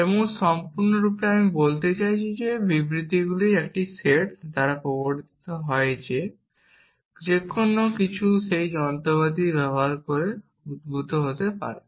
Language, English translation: Bengali, And by complete we mean anything which is entailed by a set of statements can be derived using that machinery that we have building essentially